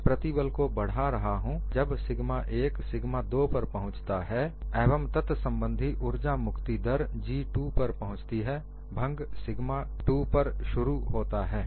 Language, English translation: Hindi, I keep increasing the stress and when sigma 1 reaches sigma 2, and the corresponding energy release rate is G 2, fracture initiates at sigma 2